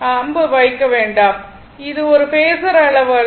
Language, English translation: Tamil, Do not put arrow, that this is not a phasor quantity